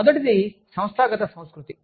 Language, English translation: Telugu, The first one is organizational culture